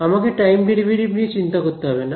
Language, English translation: Bengali, I do not have to worry about time derivatives